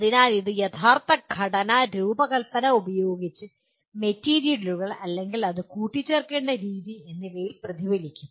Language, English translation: Malayalam, So it will get reflected in the actual component design, the materials used, or the way it has to be assembled and so on